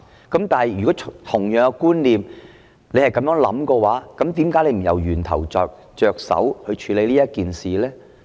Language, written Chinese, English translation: Cantonese, 但是，如果局長是有同樣觀念的話，為何不從源頭着手來處理這件事呢？, However if the Secretary has the same concept why does he not tackle the matter at source?